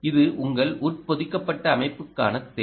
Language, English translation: Tamil, this is the requirement for your embedded system